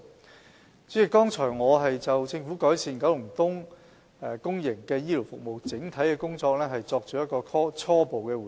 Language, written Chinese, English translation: Cantonese, 代理主席，剛才我已就政府改善九龍東公營醫療服務的整體工作，作出初步回應。, Deputy President I have given a preliminary response to the overall efforts made by the Government in improving public healthcare services in Kowloon East